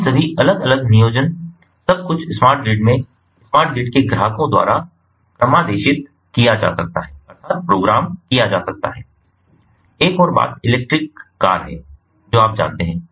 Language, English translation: Hindi, so all these different planning, everything can be programmed by the customers of the smart grid, customers in the smart grid